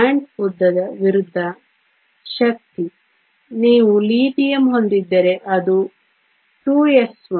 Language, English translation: Kannada, Energy versus bond length, if you have Lithium which is 2 s 1